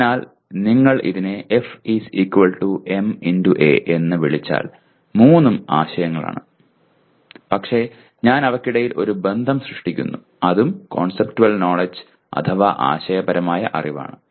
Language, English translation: Malayalam, So if you call it F = ma all the three are concepts but I am creating a relationship among them and that is also conceptual knowledge